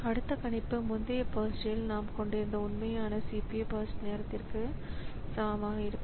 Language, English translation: Tamil, So, the next prediction is made to be equal to the actual CPU burst time that we had in the previous burst